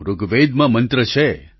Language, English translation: Gujarati, There is a mantra in Rigved